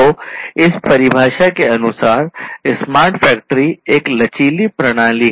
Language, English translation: Hindi, So, smart factory as per this definition, “The smart factory is a flexible system